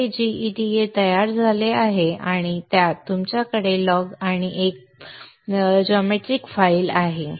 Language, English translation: Marathi, a and into this you have logs and geometry file